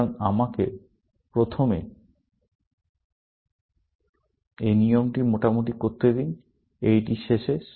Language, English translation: Bengali, So, let me do this rough rule first, at this end